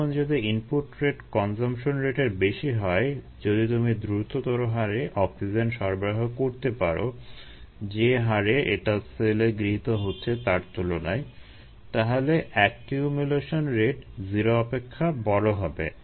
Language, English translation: Bengali, now, if the rate of input is greater than the rate of consumption, if we can provide oxygen at a much faster rate, then the rate at which it is being consumed by the cell, the accumulation rate is going to be greater than zero